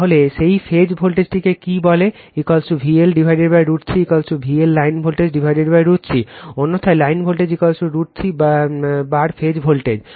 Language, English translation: Bengali, So, what you call that your phase voltage is equal to V L by root 3 is equal to V L line voltage by root 3